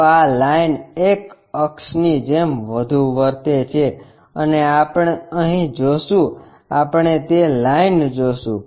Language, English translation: Gujarati, So, this line will be more like an axis and where we will see is here we will see that line